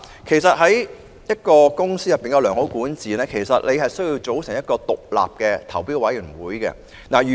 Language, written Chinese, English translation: Cantonese, 其實，一間公司要有良好管治，需要組成一個獨立的投標委員會。, In fact in order to achieve good governance a company has to establish an independent tender assessment panel in handling tenders